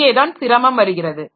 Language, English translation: Tamil, Now here comes the difficulty